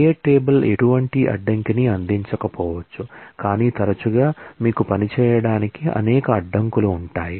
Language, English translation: Telugu, It is possible that a create table may not provide any constraint, but often you will have a number of constraints to work with